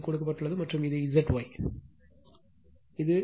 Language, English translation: Tamil, This is given and this is Z Y, Z Y, Z Y right